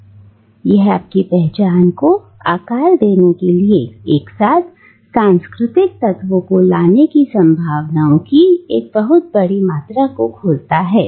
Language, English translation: Hindi, And that opens a tremendous amount of possibilities of bringing together eclectic cultural elements to shape your own identity